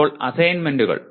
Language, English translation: Malayalam, Now the assignments